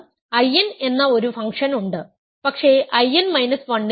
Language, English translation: Malayalam, there is a function which is I n, but not in I n minus 1